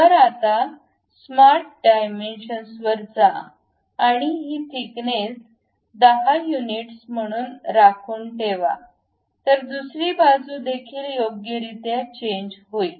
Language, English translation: Marathi, So, now go to smart dimension, maintain this thickness as 10 units; so other side also appropriately change